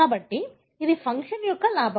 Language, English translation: Telugu, It is a gain of function